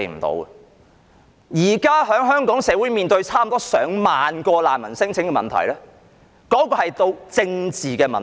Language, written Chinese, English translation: Cantonese, 現時香港社會面對接近上萬宗難民聲請，其實已經成為政治問題。, This is not an issue to be tackled by law . Right now the some 10 000 refugee claims in Hong Kong have turned into a political problem